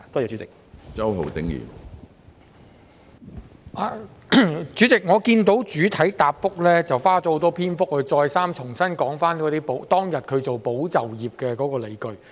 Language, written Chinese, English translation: Cantonese, 主席，我看到局長在主體答覆花了很多篇幅再三重申政府推出保就業的理據。, President I notice that the Secretary has talked at great length about the justification for the Government to launch the Employment Support Scheme